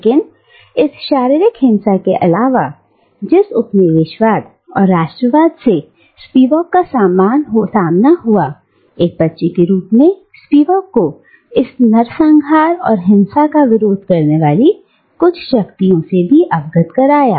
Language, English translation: Hindi, But, this raw physical violence apart, which colonialism and nationalism exposed to Spivak, Spivak as a child was also exposed to some of the forces resisting this carnage, this violence